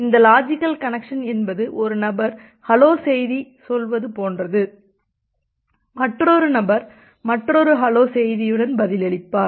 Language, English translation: Tamil, And this logical connection is something like that one person is saying about hello and another person is replying back with another hello message